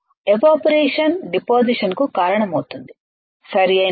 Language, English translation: Telugu, Evaporation will cause the deposition, right